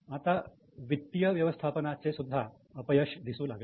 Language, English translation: Marathi, Now there was also failure of financial management